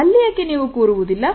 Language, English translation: Kannada, Why do not you sit there